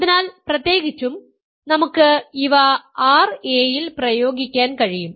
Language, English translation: Malayalam, So, in particular we can apply these to r a